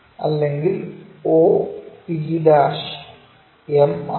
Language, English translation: Malayalam, So, o p' is m